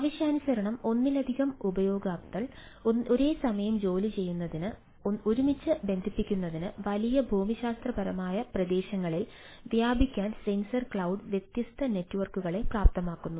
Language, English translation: Malayalam, so sensor cloud enables different network spread in huge geographical area to connect to together, be employed simultaneously by multiple users on demand, right